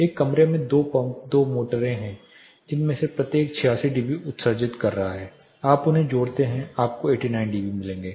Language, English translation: Hindi, There are 2 pumps, 2 motors in a room each one is emitting 86, 86 dB you add them you will end up with 89